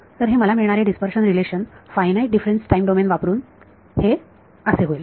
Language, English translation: Marathi, So, this dispersion relation will become using finite difference time domain I am going to get